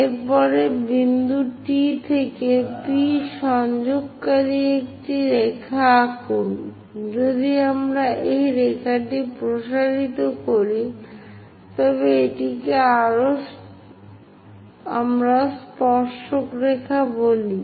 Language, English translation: Bengali, After that draw a line connecting from point T all the way to P; if we are extending this line, this is what we call tangent line